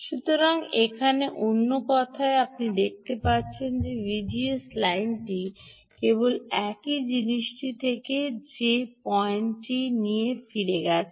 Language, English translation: Bengali, so, in other words, here you can see, v gs has line has remained the same, only thing that the point has moved back